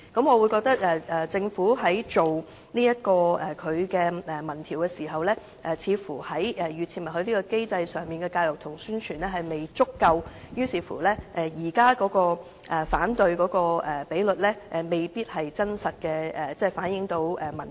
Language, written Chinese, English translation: Cantonese, 我認為政府在進行民意調查時，似乎在預設默許機制上所做的教育及宣傳工夫並不足夠，以致反對的比率未必能真實反映民意。, In my opinion the Government has not done enough education and promotion on the opt - out system . As a result its opinion poll indicates an unrealistic opposition rate